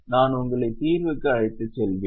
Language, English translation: Tamil, I will just take you to the solution